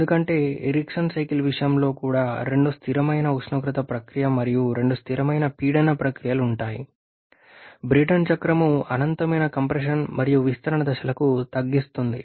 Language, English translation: Telugu, Because in case of Eriksson cycle also have to constant temperature process and 2 constant pressure processes exactly what the Brayton cycle reduces to finite and infinite number of compression and expansion stage